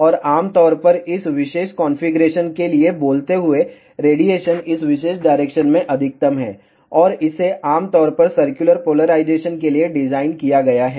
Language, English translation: Hindi, And generally speaking for this particular configuration, radiation is maximum in this particular direction, and it is generally designed for circular polarization